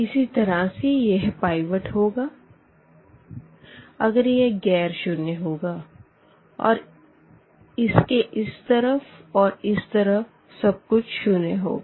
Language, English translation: Hindi, Similarly, this one is a pivot if it is a nonzero element and this everything to this one is 0 and everything to this one is 0